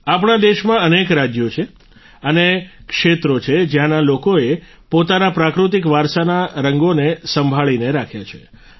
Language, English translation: Gujarati, There are many states in our country ; there are many areas where people have preserved the colors of their natural heritage